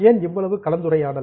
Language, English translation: Tamil, Why so much discussion on it